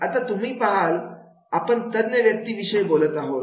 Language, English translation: Marathi, Now you see that is the we talk about the experts